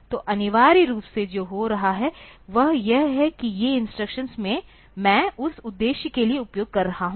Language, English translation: Hindi, So, essentially what is happening is that, these instructions I am using for that purpose